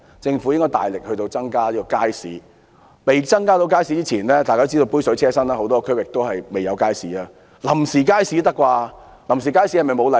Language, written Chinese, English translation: Cantonese, 政府應大力增加街市的數目，而在未能增設街市前——大家都知道，杯水車薪，很多地區仍然未有街市——興建臨時街市也可以吧？, The Government should step up efforts in increasing the number of markets . Before any additional market can be provided―we all know it is a drop in the bucket . There is still no market in many districts―it can build temporary markets can it not?